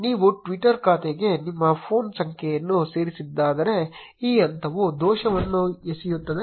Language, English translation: Kannada, If you did not add your phone number to the twitter account, this step will throw an error